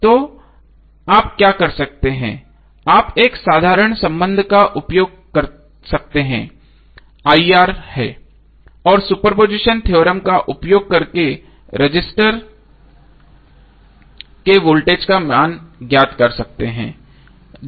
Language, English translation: Hindi, So what you can do you can use simple relationship is IR and using super position theorem you can find out the value of voltage across resistor using super position theorem